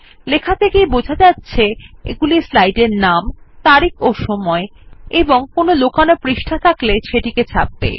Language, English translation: Bengali, As the text describes, these will print the name of the slide, the date and time and hidden pages, if any